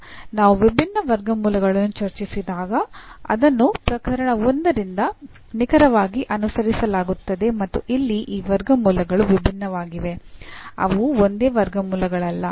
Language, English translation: Kannada, And then the solution it is exactly followed from the case 1 when we discussed the distinct roots and here these roots are distincts they are not the same roots